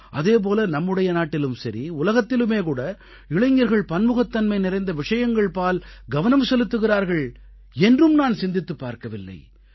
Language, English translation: Tamil, I had never thought that the youth of our country and the world pay attention to diverse things